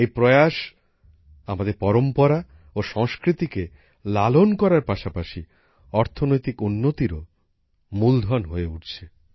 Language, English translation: Bengali, Along with preserving our tradition and culture, this effort is also becoming a means of economic progress